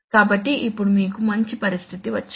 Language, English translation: Telugu, So now you have got a nice situation where